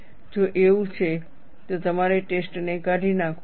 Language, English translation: Gujarati, If that is so, then you may have to discard the test